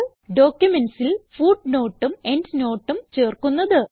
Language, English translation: Malayalam, How to insert footnote and endnote in documents